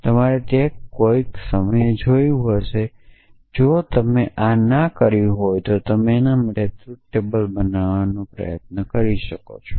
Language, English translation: Gujarati, So, you must have looked at it at some point that if you have not done this, tries to construct a truth table for this